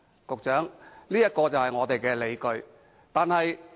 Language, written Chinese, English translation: Cantonese, 局長，這是我們的理據。, Secretary this is our rationale